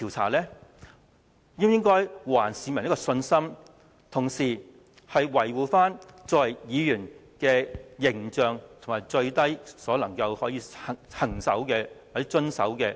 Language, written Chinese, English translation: Cantonese, 我們應還市民信心，同時維護議員的形象，以及議員最低限度應遵循的底線。, We ought to restore public confidence Meanwhile we have to protect the professional image of legislators and hold fast to the most fundamental principles set for Members of this Council